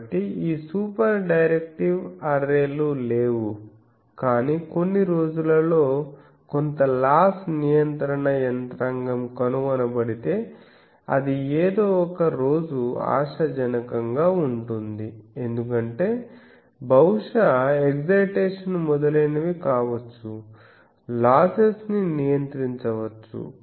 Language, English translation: Telugu, So, these super directive arrays are no, but maybe in some day if some loss control mechanism is found then that can be a promising one maybe someday because maybe the excitation etce